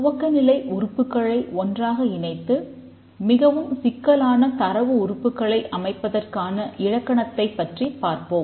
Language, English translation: Tamil, Now let's see the grammar by which these primitive items are combined into more complex data items